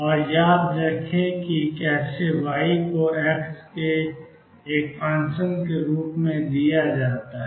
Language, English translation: Hindi, And remember how y is given as a function of x